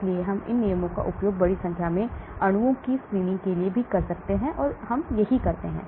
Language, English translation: Hindi, So we can use these rules also for screening a large number of molecules, that is what we do